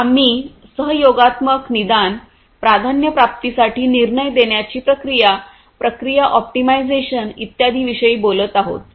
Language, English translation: Marathi, So, we are talking about you know collaborative diagnostics, decision making for prioritization, optimization of processes and so on